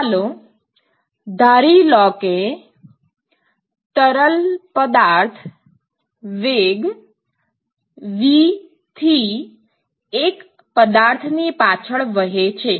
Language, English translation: Gujarati, So, let us assume that a fluid is flowing at a velocity v